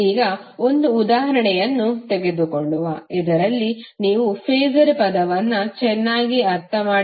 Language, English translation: Kannada, Now, let us take one example so that you can better understand the term of Phasor